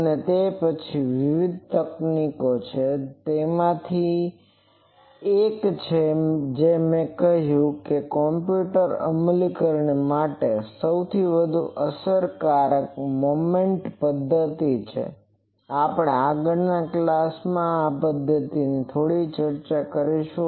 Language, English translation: Gujarati, And then will, with there are various techniques one of that I said most efficient one most easy for computer implementation is Moment method that we will discuss a bit of Moment method in the next class